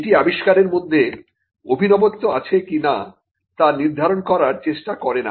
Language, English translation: Bengali, It is not directed towards determining whether an invention involves novelty